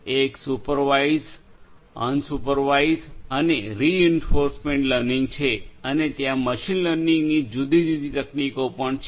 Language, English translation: Gujarati, One is the supervised, unsupervised and reinforcement learning and there are different different other machine learning techniques that are also there